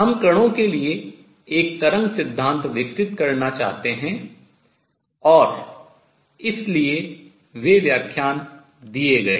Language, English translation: Hindi, We want to develop a wave theory for particles and therefore, those lectures will given